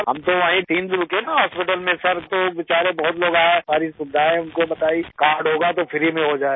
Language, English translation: Hindi, I stayed there for three days in the hospital, Sir, so many poor people came to the hospital and told them about all the facilities ; if there is a card, it will be done for free